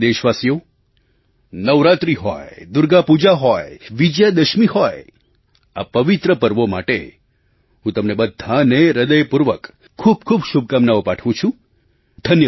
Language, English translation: Gujarati, My dear countrymen, be it Navratri, Durgapuja or Vijayadashmi, I offer all my heartfelt greetings to all of you on account of these holy festivals